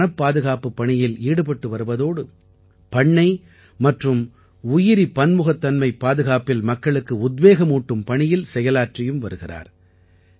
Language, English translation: Tamil, He has been constantly working for forest conservation and is also involved in motivating people for Plantation and conservation of biodiversity